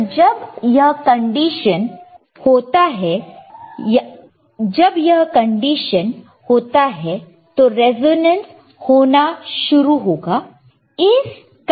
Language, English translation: Hindi, So, when this condition occurs, then the resonancet will start occurring